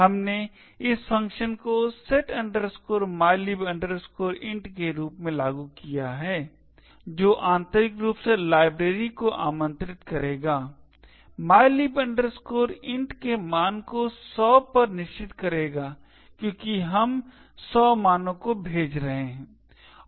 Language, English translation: Hindi, We invoked this function as follows setmylib int which would internally invoke the library, said the value of mylib int to 100 because we are passing the argument 100